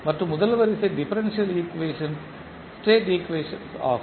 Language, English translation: Tamil, And the first order differential equations are the state equation